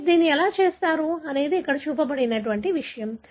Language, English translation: Telugu, How do you do this is something that is shown here